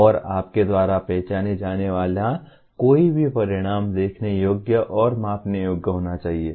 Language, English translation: Hindi, And any outcome that you identify should be observable and measureable